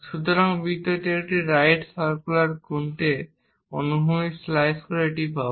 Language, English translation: Bengali, So, circle we will get it by slicing it horizontally to a right circular cone